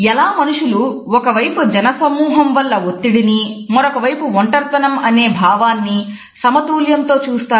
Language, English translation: Telugu, So, how do people kind of maintain this balance between crowding stress on the one hand and feeling isolated on the other